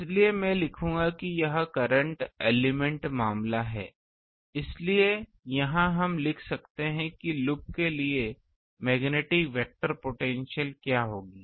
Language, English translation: Hindi, So, I will write this is current element case; so, here we can write that for loop what will be magnetic vector potential